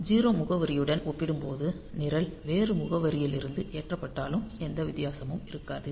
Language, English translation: Tamil, So, there is no difference will be there even if the program is loaded from a different address compared to the 0 address